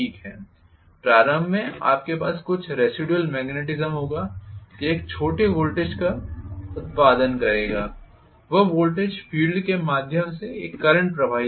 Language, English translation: Hindi, Initially, you will have some residual magnetism, it will produce a small voltage, that voltage will circulate a current through the field